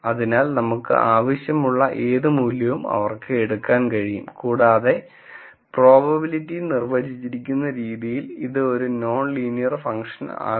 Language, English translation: Malayalam, So, they can take any value that that we want and also the fact that the way the probability is defined, this would also become a non linear function